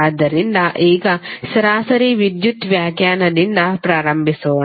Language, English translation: Kannada, So now let’s start with the average power definition